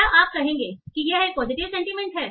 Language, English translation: Hindi, Would you say this is a positive sentiment